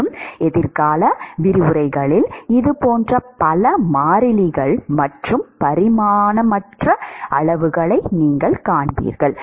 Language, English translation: Tamil, And, you will see many more of such constants and dimensionless quantities in the future lectures